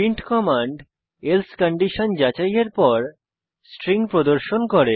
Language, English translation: Bengali, print command displays the string after checking the else condition